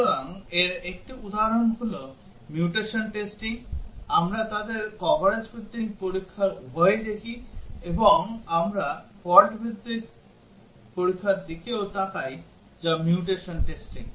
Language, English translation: Bengali, So, one example of this is mutation testing; we look at both coverage based testing several of them, and also we look at fault based testing which is the mutation testing